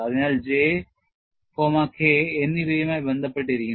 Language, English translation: Malayalam, So, J and K can be related